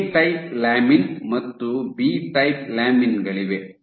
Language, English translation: Kannada, So, you have a type lamins and b type lamins